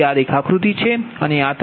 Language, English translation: Gujarati, so this is the diagram